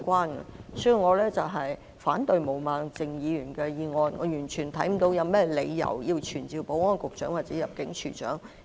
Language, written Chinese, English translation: Cantonese, 因此，我反對毛孟靜議員的議案，我完全看不到有任何理由要傳召保安局局長或入境事務處處長。, Thus I oppose Ms Claudia MOs motion . I see no reason whatsoever why we have to summon the Secretary for Security or the Director of Immigration